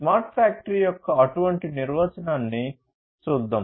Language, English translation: Telugu, So, let us look at one such definition of smart factory